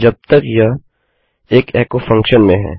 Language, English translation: Hindi, Unless its in an echo function